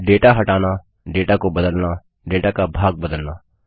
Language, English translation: Hindi, Removing data, Replacing data, Changing part of a data